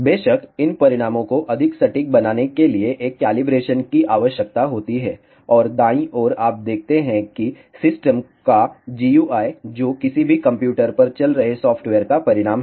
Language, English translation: Hindi, Of course, a calibration is required to make these results more accurate and on the right side you see that the GUI of the system, which is a result of a software running on any computer